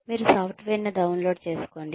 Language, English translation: Telugu, You download the software